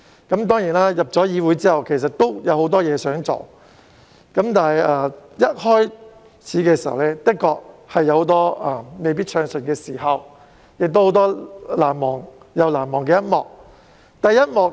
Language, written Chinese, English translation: Cantonese, 在加入議會後，我其實有很多事想做，但一開始時的確有很多不暢順的時間，亦有很多難忘的一幕。, After joining the legislature I actually wanted to do many things . But at the very beginning things were not quite so smooth most of the time and many episodes have remained unforgettable to me